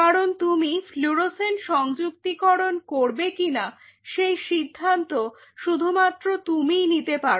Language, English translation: Bengali, Because that decision only you can take whether you want a fluorescent attachment or not